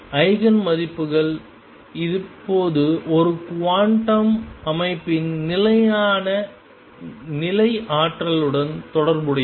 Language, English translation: Tamil, And eigenvalues are now related to the stationary state energies of a quantum system